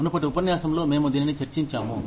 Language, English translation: Telugu, We have discussed this, in a previous lecture